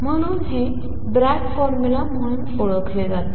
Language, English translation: Marathi, So, this is known as Bragg formula